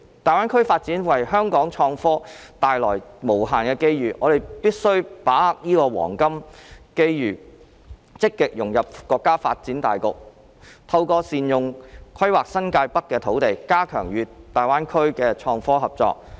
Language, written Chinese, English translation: Cantonese, 大灣區發展為香港創科帶來無限的機遇，我們必須把握好這個黃金機遇，積極融入國家發展大局，透過善用規劃新界北的土地，加強與大灣區的創科合作。, The development of GBA brings unlimited opportunities to the IT sector of Hong Kong . We must seize this golden opportunity to proactively integrate with the overall development of the nation and step up the IT collaboration with GBA by making good use of and planning for the land in New Territories North